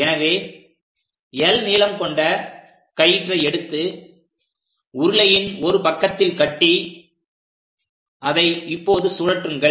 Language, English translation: Tamil, So, let us take a rope of fixed length l, tie it on one side of the cylinder, now spin the cylinder